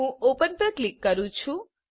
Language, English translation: Gujarati, I will click on open